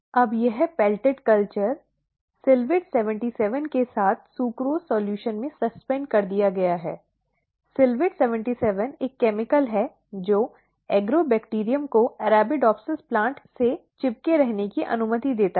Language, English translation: Hindi, Now, this pelleted culture is then suspended in sucrose solution along with silvett 77, silvett 77 is a chemical which allows the Agrobacterium to stick to the Arabidopsis plant